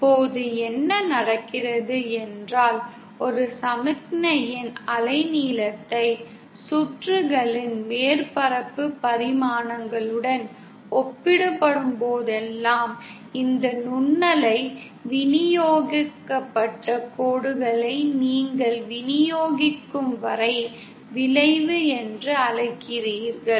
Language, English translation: Tamil, Now, what happens is when I said that whenever a wavelength of a signal is comparable to the dimensions surface the circuit, you have this microwave distributed lines what you call as distributed line effect